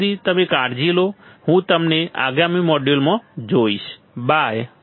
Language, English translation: Gujarati, Till then you take care, I will see you next module, bye